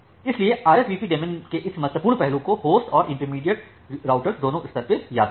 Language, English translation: Hindi, So, remember this important aspect of this RSVP daemon at both the host at all the intermediate routers